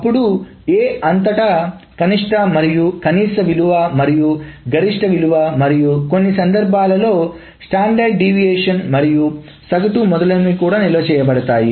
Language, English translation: Telugu, Then the minimum across A and the maximum value and the maximum value and in some cases the standard deviation and mean etc can also be stored